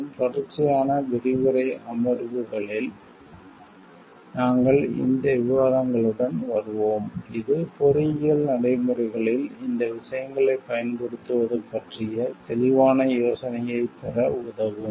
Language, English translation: Tamil, And in consecutive lecture sessions we will be coming up with these discussions which will help us to get a more clear idea about the use of these things in engineering practices